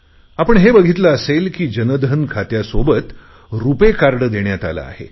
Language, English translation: Marathi, You must have seen that along with the Jan Dhan account people have been given a RuPay card